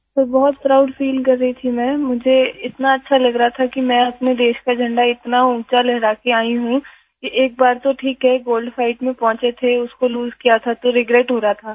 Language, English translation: Hindi, Sir, I was feeling very proud, I was feeling so good that I had returned with my country's flag hoisted so high… it is okay that once I had reached the Gold Fight, I had lost it and was regretting it